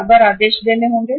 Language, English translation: Hindi, Frequently you have to place the orders